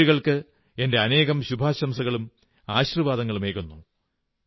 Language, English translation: Malayalam, My best wishes and blessings to these daughters